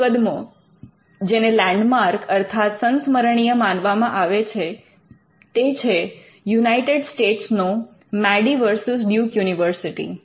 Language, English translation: Gujarati, One case which was the landmark case in the US involves Madey versus Duke University